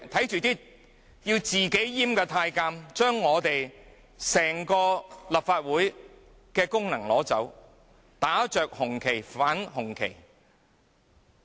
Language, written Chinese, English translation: Cantonese, 這些自行閹割的太監，奪去了立法會整個功能，打着紅旗反紅旗。, These eunuchs who have castrated themselves have deprived the Legislative Council of its functions and have held the red flag high only to oppose the cause of the red flag